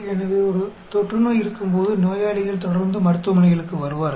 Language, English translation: Tamil, So, when there is an epidemic, you will have patients coming regularly to clinics